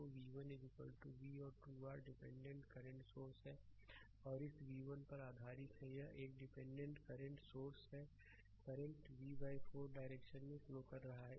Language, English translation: Hindi, So, v 1 is equal to v and 2 your dependent current sources are there based on this v 1 is this is one dependent current source, current is flowing this direction is v by 4